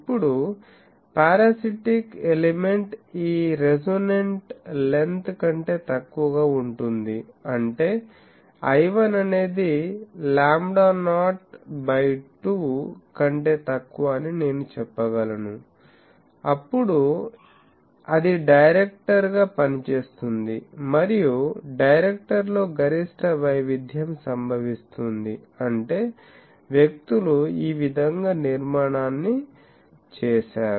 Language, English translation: Telugu, Now, if the parasitic element is shorter than this resonant length; that means, I can say l 1 is less than lambda not by 2, then it acts as a director and maximum variation occurs in the director; that means, people have made the structure like this that